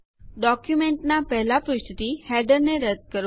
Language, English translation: Gujarati, Remove the header from the first page of the document